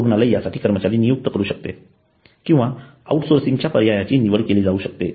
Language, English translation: Marathi, Hospital can hire employee for it or can opt for outsourcing